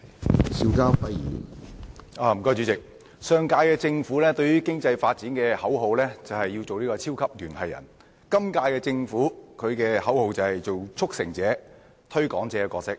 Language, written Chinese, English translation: Cantonese, 對於經濟發展，上屆政府的口號是要做"超級聯繫人"，本屆政府的口號則是要擔當"促成者"和"推廣者"的角色。, Regarding economic development the slogan of the previous Government is that it aimed to be a super connector and the slogan of the current Government is that it aims to perform the roles of a facilitator and a promoter